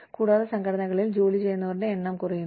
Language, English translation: Malayalam, And, the number of people employed in organizations is coming down